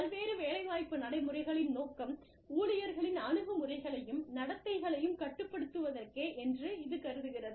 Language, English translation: Tamil, This assumes that, the purpose of various employment practices, is to elicit and control, employee attitudes and behaviors